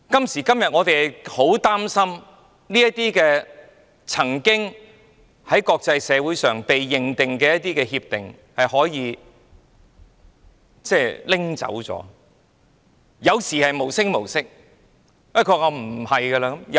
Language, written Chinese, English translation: Cantonese, 然而，我們擔心這些曾獲國際社會認定的協定，可能會無聲無息地不被重視。, Nevertheless we are worried that these agreements which have been recognized by the international community might be ignored unnoticed